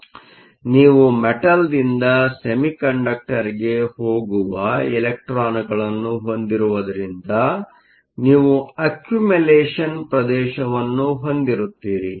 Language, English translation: Kannada, So, because you have an electrons going from the metal to the semiconductor, you will have an accumulation region